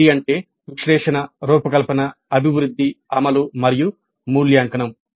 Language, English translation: Telugu, ADE stands for analysis, design, development, implement and evaluate